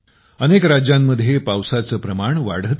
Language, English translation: Marathi, Rain is increasing in many states